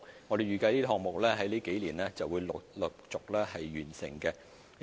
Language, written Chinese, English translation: Cantonese, 我們預計這些項目在這數年會陸續落成。, We expect that these programmes will be commissioned one after another in the coming years